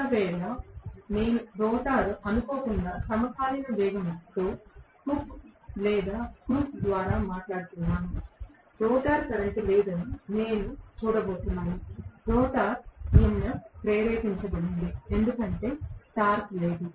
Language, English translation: Telugu, If, I am talking about rotor having reached synchronous speed by chance, by hook or crook, I am going to see that there is no rotor current, there is rotor EMF induced because of which there is no torque